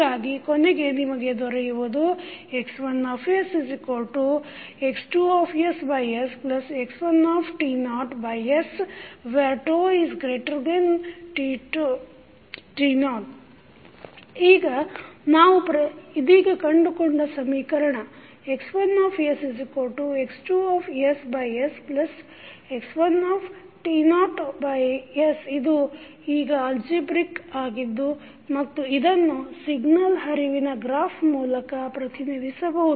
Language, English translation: Kannada, Now, the equation that is we have just found that is x1s is equal to x2s by s plus x1 t naught by s is now algebraic and can be represented by the signal flow graph